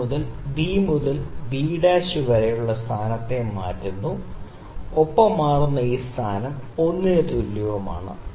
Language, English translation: Malayalam, It changes it is position from B to B dash, and this change in position this length is l